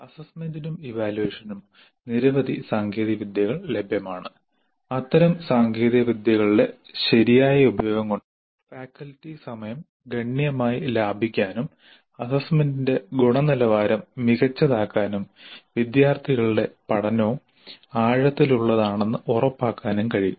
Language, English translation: Malayalam, Now there are several technologies available for both assessment and evaluation and a proper use of such technologies can considerably save the faculty time, make the quality of assessment better and ensure that the learning of the students also is deep